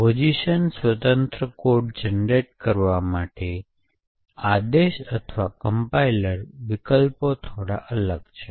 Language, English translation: Gujarati, In order to generate position independent code, the command or the compiler options are slightly different